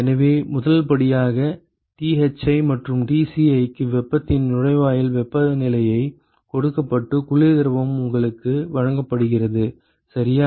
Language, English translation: Tamil, So, the first step would be let us say that the Thi, and Tci are given the inlet temperatures of the hot and the cold fluid are given to you, ok